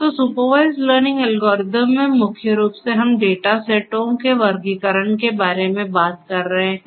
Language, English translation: Hindi, So, in supervised learning algorithm, primarily we are talking about classification of data sets